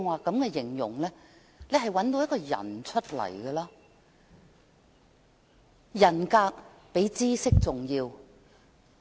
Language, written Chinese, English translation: Cantonese, 正如我剛才所說，特首的人格比知識重要。, As I said just now the integrity of a Chief Executive is more important than his or her knowledge